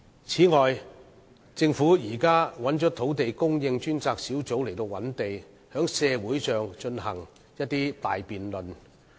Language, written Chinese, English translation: Cantonese, 此外，政府現時交由土地供應專責小組負責覓地，並在社會上進行大辯論。, Moreover the Government has now assigned the Task Force on Land Supply to be responsible for identifying land and conducting a great debate in society